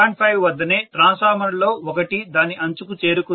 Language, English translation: Telugu, 5 itself maybe one of the transformers has reached its brim